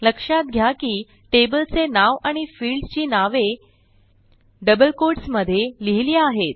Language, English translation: Marathi, Notice that the table name and field names are enclosed in double quotes